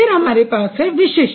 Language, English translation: Hindi, And then you have distinctive